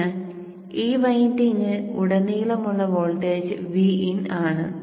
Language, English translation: Malayalam, So the voltage across this winding is V in